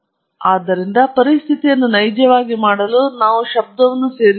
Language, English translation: Kannada, So, to make the situation realistic, now we add noise